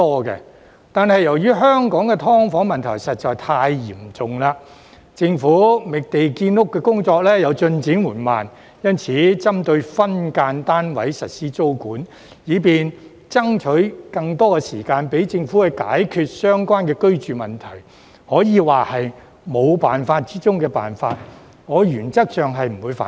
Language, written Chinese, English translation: Cantonese, 然而，由於香港的"劏房"問題實在太嚴重，政府覓地建屋的工作又進展緩慢，所以針對分間單位實施租管，以便爭取更多時間讓政府解決相關居住問題，可以說是沒有辦法中的辦法，我原則上不反對。, However given the serious problem of SDUs in Hong Kong and the Governments slow progress in identifying land for housing construction implementing tenancy control on SDUs to allow more time for the Government to solve the relevant housing problem is the only option when there are no other alternatives thus I have no objection in principle